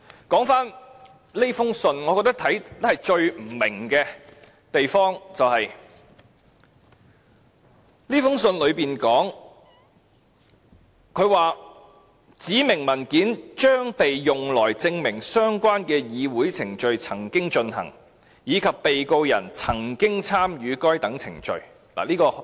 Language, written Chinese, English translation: Cantonese, 說回這封信，我最不明白的地方是，信裏面說，"指明文件將被用來證明相關的議會程序曾經進行，以及被告人曾經參與該等程序"。, Referring back to the letter the most inexplicable part to me is as follows The specified documents will be used to prove that the relevant parliamentary proceedings took place and that the Defendant participated in the proceedings